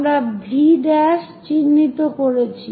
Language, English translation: Bengali, So, we have identified V prime